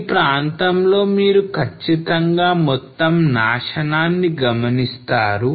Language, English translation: Telugu, So this area for sure will observe total damage